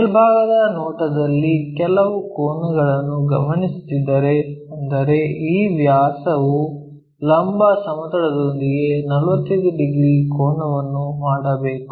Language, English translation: Kannada, In top view, if we are observing some angle; that means, this diameter must be making a 45 degrees angle with the vertical plane